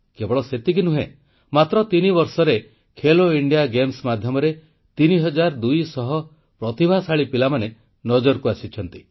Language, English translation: Odia, Not only this, in just three years, through 'Khelo India Games', thirtytwo hundred gifted children have emerged on the sporting horizon